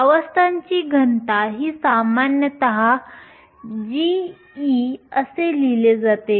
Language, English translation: Marathi, Density of states, are typically written as g of e